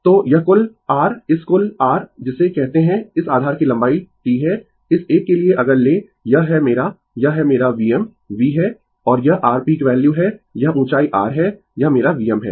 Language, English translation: Hindi, So, this total your this total your what you call this base length is T right for this one if you if you take this is my this is my V m V and this is your peak value this this height is your this is my V m right